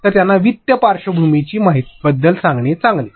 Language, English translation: Marathi, So, better give them a finance background